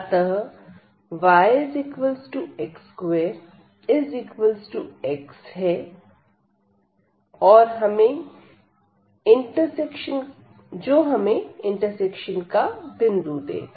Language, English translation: Hindi, So, y is equal to x is equal to x square and this will be give us the point of intersection